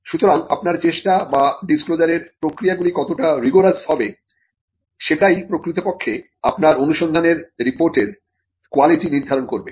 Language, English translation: Bengali, Or how rigorous the disclosure process will be, will actually determine the quality of your search report